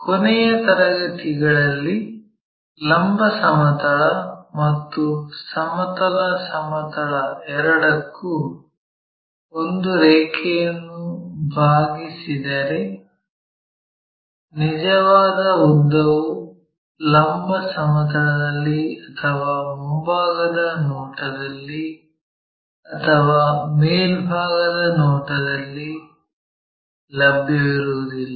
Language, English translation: Kannada, In the last classes we have learnt, if a line is inclined to both vertical plane, horizontal plane, true length is neither available on vertical plane nor on a frontfront view or the top views